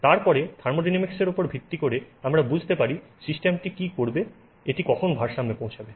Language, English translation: Bengali, Then based on the thermodynamics, we understand what will the system do when it is at equilibrium